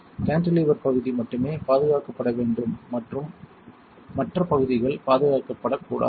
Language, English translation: Tamil, Only cantilever region should be protected other region should not be protected